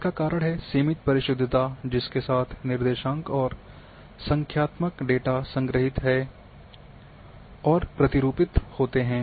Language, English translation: Hindi, This is due to limited precision with which coordinates and numerical data are stored and format conversion